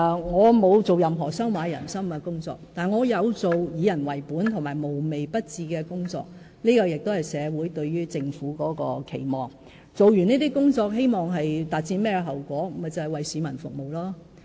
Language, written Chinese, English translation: Cantonese, 我沒有做任何收買人心的工作，但我有做以人為本及無微不至的工作，這亦是社會對於政府的期望，完成這些工作後，我們希望達到的結果，就是為市民服務。, I have not done anything to buy off anyone . But the tasks I have undertaken are all people - oriented and show every concern for the people and this is what society expects of the Government . We hope that by the time these tasks are completed we can accomplish our intended goal of serving the public